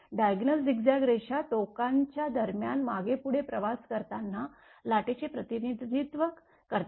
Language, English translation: Marathi, The diagonal zigzag line represent the wave as it travels back and forth between the ends or discontinuities